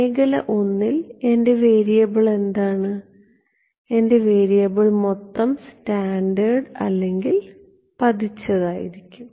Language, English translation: Malayalam, In region I my variable is the what is my variable scattered total or incident